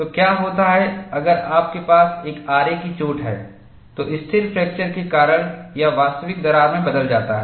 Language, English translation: Hindi, So, what happens is, if you have a saw cut, this changes into a real crack due to stable fracture